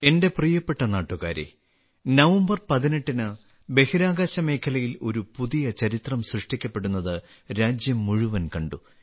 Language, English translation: Malayalam, My dear countrymen, on the 18th of November, the whole country witnessed new history being made in the space sector